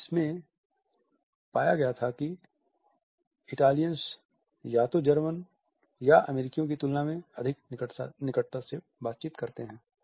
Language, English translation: Hindi, And which had found that Italians interact more closely in comparison to either Germans or American